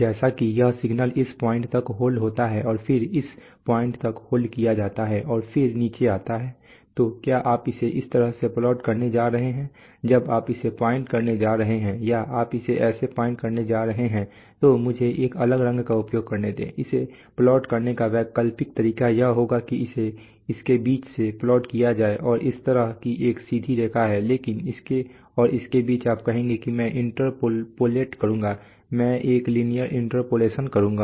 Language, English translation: Hindi, As if this signal is held up to this point and then held upto this point and then comes down so are you going to plot it like this, when you are going to plot it or are you going to plot it like this, then let me use a different color, the alternate way of plotting it would be to plot it from between this and this it is a straight line like this, but between this and this you would say that I will interpolate I will do a linear interpolation